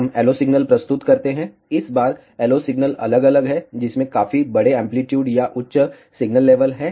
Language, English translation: Hindi, We present the LO signal, this time varying LO signal which has quite large amplitude or a higher signal level